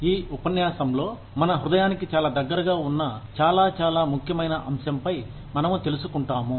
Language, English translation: Telugu, In this lecture, we will be touching upon, a very, very, important topic, that is very close to my heart